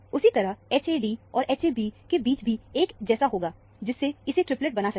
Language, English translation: Hindi, Similarly, between H a d and H a b would also be identical, to make this as a triplet